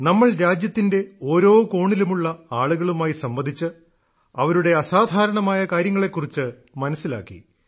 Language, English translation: Malayalam, We spoke to people across each and every corner of the country and learnt about their extraordinary work